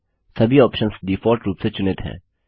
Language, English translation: Hindi, All the options are selected by default